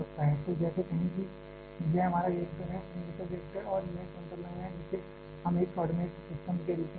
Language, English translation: Hindi, So, like say this is our reactor the cylindrical reactor this is the center line we are taking this as a coordinate system